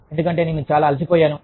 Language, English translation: Telugu, Because, i am so tired